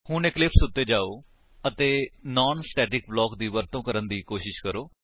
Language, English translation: Punjabi, Now, let us switch to Eclipse and try to use a non static block